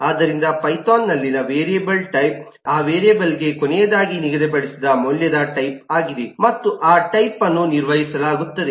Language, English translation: Kannada, so the type of a variable in python is the type of the value that was last assigned to that variable and that type is maintained